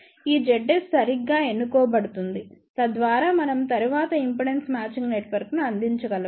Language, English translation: Telugu, This Z S will be chosen properly so that we can provide impedance matching network later on